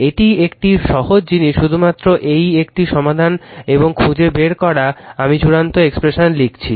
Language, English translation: Bengali, This is simple thing only thing is that this one you solve and find it out I have written the final expression right